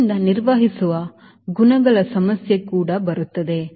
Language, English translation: Kannada, so all those handling qualities problem also